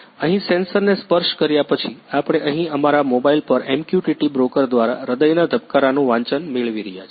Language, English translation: Gujarati, Here after touching the sensor, we are getting the reading here of the heart beat through the MQTT broker on our mobile